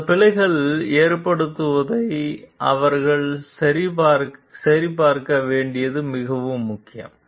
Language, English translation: Tamil, It is very important for them to check those errors from occurring